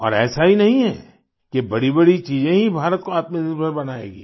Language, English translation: Hindi, And it is not that only bigger things will make India selfreliant